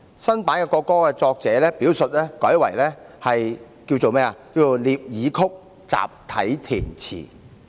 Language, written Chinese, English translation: Cantonese, 新版國歌的作者表述改為"聶耳曲，集體填詞"。, The reference to the writer of the new version of the national anthem was changed to music by NIE Er lyrics written collectively